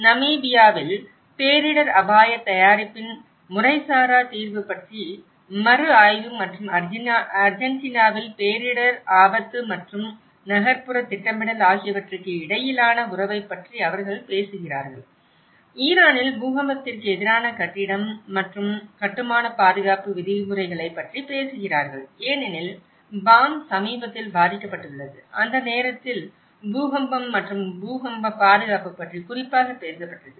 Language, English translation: Tamil, Whereas in Namibia it talks on the review of informal settlement of disaster risk preparedness and in Argentina they talk about the relationship between disaster risk and urban planning and in Iran they talk about the building and construction safety regulations against earthquake because Bam has been affected by recent earthquake at that time and that side talked about the earthquake safety in very particular